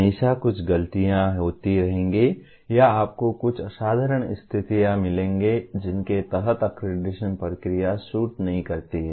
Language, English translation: Hindi, There will always be some misgivings or you will find some exceptional conditions under which the accreditation process does not suit